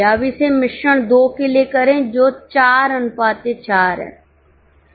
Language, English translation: Hindi, Now do it for mix 2 which is 4 is to 4